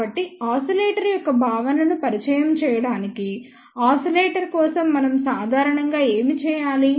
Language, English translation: Telugu, So, just to introduce the concept of the oscillator so, what do we generally do for oscillator